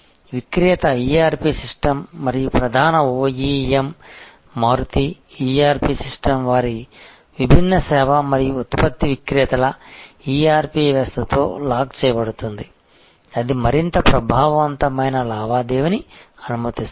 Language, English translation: Telugu, So, the vender ERP system and the main OEM say Maruti ERP system will be locked in with the ERP system of their different service and product venders and that will allow much more effective transaction